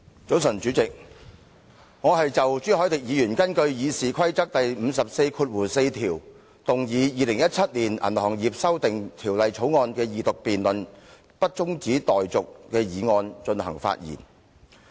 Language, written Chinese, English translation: Cantonese, 早晨，主席，我是就朱凱廸議員根據《議事規則》第544條動議《2017年銀行業條例草案》的二讀辯論不中止待續的議案發言。, Good morning President . I speak on the motion moved by Mr CHU Hoi - dick under RoP 544 that the Second Reading debate on the Banking Amendment Bill 2017 the Bill be not adjourned